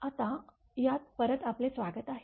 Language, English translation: Marathi, Welcome back to this now